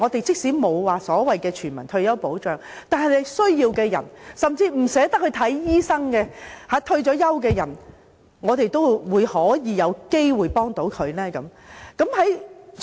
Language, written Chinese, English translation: Cantonese, 即使我們沒有全民退休保障，但對於有需要的人，甚至是不願花錢看醫生的退休人士，我們是否也應該幫助他們？, Although we have not introduced a universal retirement protection system should we still help the needy and even retirees who are reluctant to pay for medical treatment?